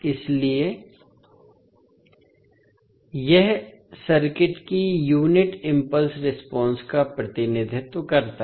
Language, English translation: Hindi, So, this represents unit impulse response of the circuit